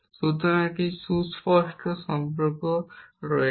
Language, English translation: Bengali, So, there is a clear relation and you